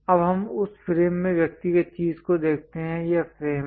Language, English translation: Hindi, Now, let us look at the individual thing in that frame this is the frame